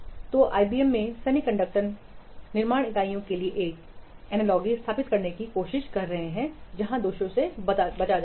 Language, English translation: Hindi, So in the IBM they were trying to establish an analogy to the semiconductor fabrication units